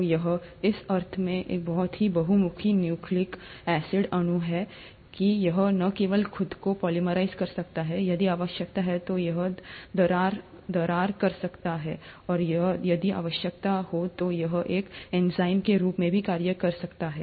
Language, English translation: Hindi, So it's a very versatile nucleic acid molecule in that sense, that it not only can polymerize itself if the need be, it can cleave, and if the need be, it can also act as an enzyme